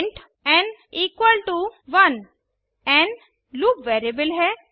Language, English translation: Hindi, Type int n equalto 1 n is going to be loop variable